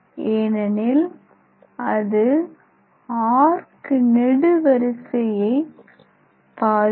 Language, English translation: Tamil, It should not disturb the arc